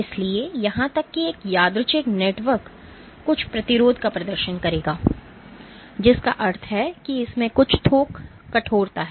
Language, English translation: Hindi, So, even a random network will exhibit some resistance, which means it has some bulk stiffness